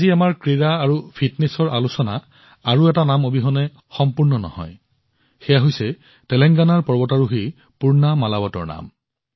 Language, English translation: Assamese, Today's discussion of sports and fitness cannot be complete without another name this is the name of Telangana's mountaineer Poorna Malavath